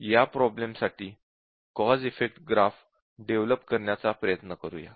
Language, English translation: Marathi, So let us try to develop the cause effect graph for this problem